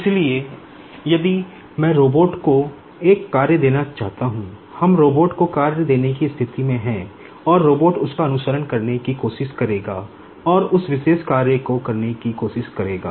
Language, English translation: Hindi, So, if I just want to give a task to the robot, we are in a position to give task to the robot and the robot will try to follow that and try to perform that particular the task